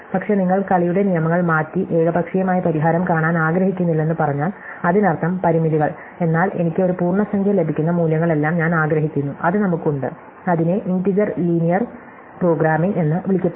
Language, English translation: Malayalam, But, if you change the rules of the game and say I do not want to arbitrary solution; that means, constraints, but I want to one we are all the values that I get an integers, then we have the, so called integer linear programming